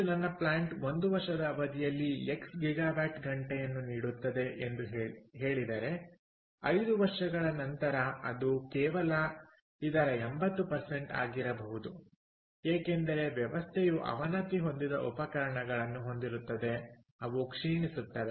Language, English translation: Kannada, so today, if my plant, lets say, gives ah x gigawatt hour over a period of one year, after five years it is going to be maybe only eighty percent of that because the system has degraded